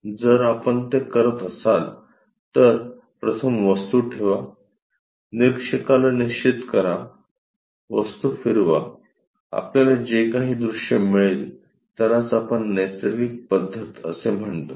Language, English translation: Marathi, If we are doing that, first keep an object, fix the observer, rotate the object, the views whatever we are going to get, that is what we call natural method